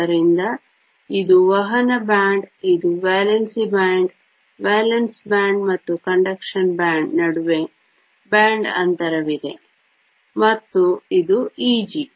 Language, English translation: Kannada, So, this is the conduction band; this is the valence band; there is a band gap between valence band and conduction band, and this is E g